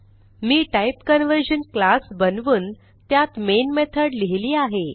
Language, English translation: Marathi, I have created a class TypeConversion and added the main method to it